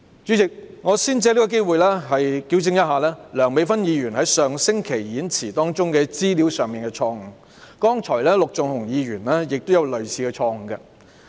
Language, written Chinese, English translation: Cantonese, 主席，我先藉此機會糾正梁美芬議員在上星期發言中的一些資料錯誤，剛才陸頌雄議員也有類似錯誤。, Chairman let me first take this opportunity to correct some information given by Dr Priscilla LEUNG in her speech last week . Just now Mr LUK Chung - hung also made a similar mistake